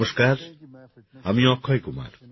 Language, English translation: Bengali, Hello, I am Akshay Kumar